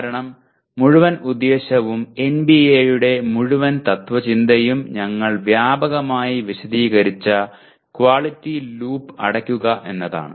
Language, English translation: Malayalam, Because the whole purpose, the whole philosophy of NBA is to close the quality loop which we have explained extensively